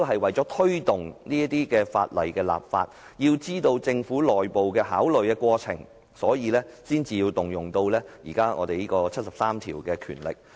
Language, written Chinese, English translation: Cantonese, 為推動制定有關法例，以及了解政府內部的考慮過程，我們今天才建議引用《基本法》第七十三條的權力。, To accelerate enactment of the legislation and to know the internal consideration processes of the Government we therefore propose to invoke the power vested by Article 73 of the Basic Law